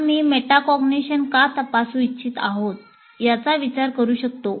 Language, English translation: Marathi, And why we can consider why we want to examine metacognition